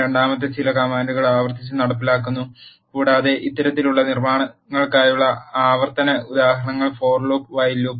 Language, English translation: Malayalam, The second one is execute certain commands repeatedly, and use certain logic to stop the iteration examples for this kind of constructs are for and while loops